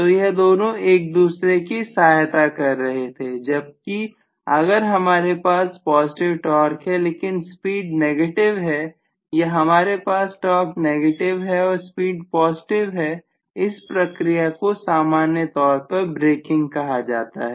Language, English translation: Hindi, So both were aiding each other whereas if I have torque to be positive but speed to be negative or if I have torque to be negative and the speed to be positive that process is generally braking